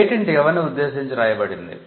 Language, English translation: Telugu, The patent is addressed to a variety of people